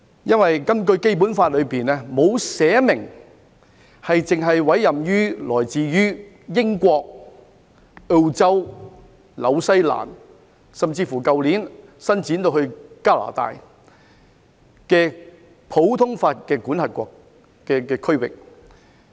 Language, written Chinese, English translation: Cantonese, 因為《基本法》沒有訂明只委任來自英國、澳洲、新西蘭甚至是去年伸展到加拿大的普通法系的司法管轄區。, It is because the Basic Law does not provide that the common law jurisdictions from which we can appoint judges are limited to the United Kingdom Australia New Zealand or Canada which was covered last year